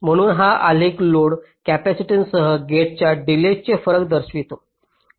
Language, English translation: Marathi, so this graph shows the variation of gate delay with load capacitance